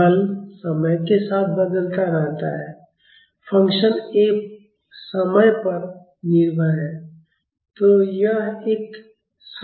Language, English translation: Hindi, The force varies with time the function F is a dependent on time